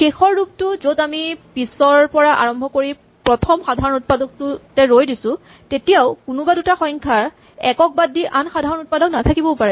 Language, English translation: Assamese, In the last version where we were trying to work backwards and stop at the first common factor it could still be that the two numbers have no common factor other than 1